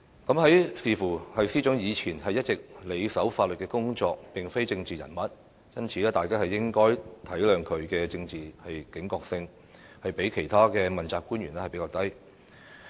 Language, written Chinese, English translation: Cantonese, 但是，觀乎司長以前一直埋首法律工作，並非政治人物，大家應該體諒她的政治警覺性較其他問責官員低。, There is room for her to make improvements . However as the Secretary for Justice has all along been dedicated to legal work and she is not a political figure allowances should be made for her political vigilance being lower than that of other accountability officials